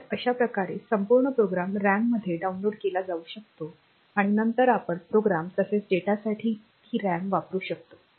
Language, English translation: Marathi, So, that way the entire program can be downloaded into the RAM and then we can use that RAM both for program as well as data